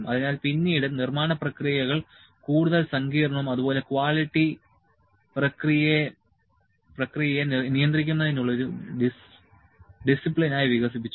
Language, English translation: Malayalam, So, later on the manufacturing processes became more complex and quality developed into a discipline for controlling process